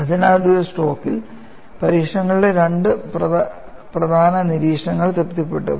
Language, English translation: Malayalam, So, in 1 stroke, two important observations of experiments were satisfied